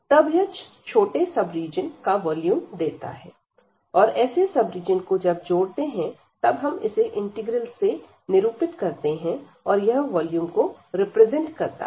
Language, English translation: Hindi, So, this gives the volume of this smaller sub region and such sub regions we are adding here and that will be denoted by this integral, so that will represent the volume